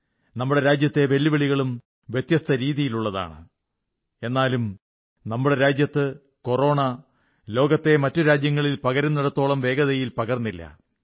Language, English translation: Malayalam, The challenges facing the country too are of a different kind, yet Corona did not spread as fast as it did in other countries of the world